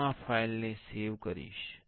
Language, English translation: Gujarati, I will save this file